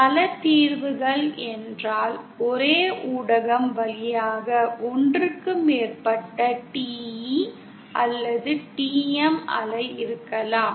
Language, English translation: Tamil, Multiple solutions means, there can be more than one TE or TM wave passing through the same medium